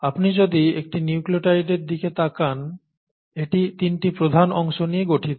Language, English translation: Bengali, If you look at a nucleotide, it consists of three major parts